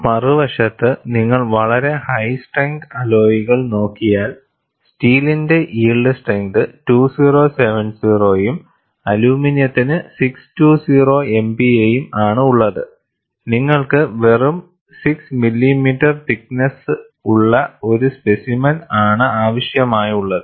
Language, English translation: Malayalam, On the other hand, if you go for a very high strength alloy, yield strength is 2070 for steel and aluminum 620 MPa; you need a specimen of a just 6 millimeter thickness